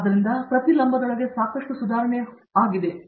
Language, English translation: Kannada, So, these are, within each vertical there have been lots of advancements